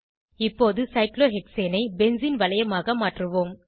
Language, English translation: Tamil, Let us now convert cyclohexane to a benzene ring